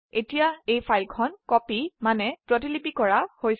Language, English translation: Assamese, Now the file has been copied